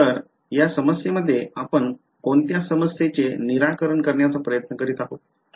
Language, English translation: Marathi, So, in this problem what are we trying to solve for